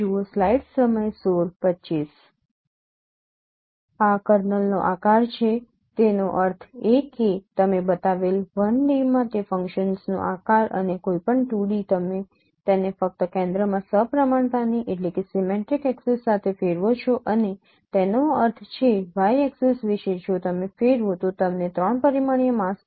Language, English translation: Gujarati, These are the shape of the kernel that means shape of those functions in 1D you have shown and in 2D you just rotate it along the axis of symmetry in the center and that means and then that means the you know about y axis if rotate, then you will get the three dimensional, you know, mask